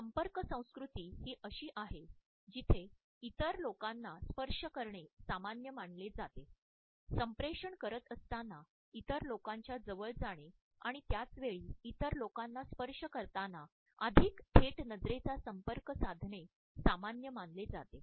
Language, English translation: Marathi, A contact culture is one where as it is considered to be normal to touch other people; it is considered to be normal to move closer to other people while communicating and at the same time to have a more direct eye contact while touching other people